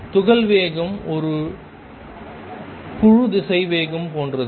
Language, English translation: Tamil, And the speed of particle is same as group velocity